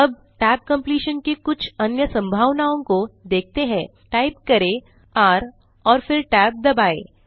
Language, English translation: Hindi, Lets see some more possibilities of tab completion just type r and then press the tab